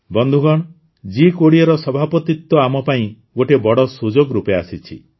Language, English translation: Odia, Friends, the Presidency of G20 has arrived as a big opportunity for us